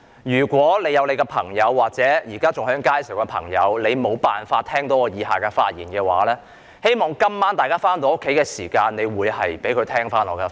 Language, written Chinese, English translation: Cantonese, 如果大家的朋友或現時還在街上的朋友無法聽到我以下的發言，希望各位今晚回家後可以收聽會議的錄音。, If friends of yours or people who are still on the streets cannot listen to my following speech I hope they can listen to the audio recording when they get home tonight